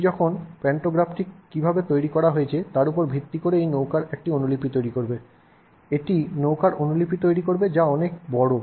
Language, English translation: Bengali, It would then create a copy of this boat based on how that pantograph is designed, it would create a copy of the boat which is much bigger